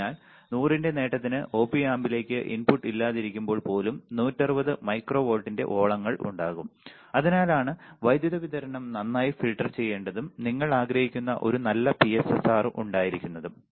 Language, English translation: Malayalam, Therefore, a gain of 100 the output will have ripple of 160 micro volts even when there is no input to the Op amp, this is why it is required to filter power supply well and to have a good PSRR you understand